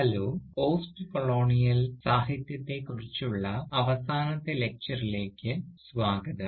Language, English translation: Malayalam, Hello and welcome to this last lecture on postcolonial literature